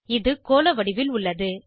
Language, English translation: Tamil, It has spherical shape